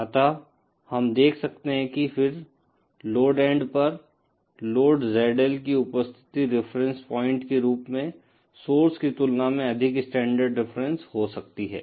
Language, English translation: Hindi, So, we can see that then the load at the load end, the presence of this ZL as a reference point may accept more standard reference as compared to the source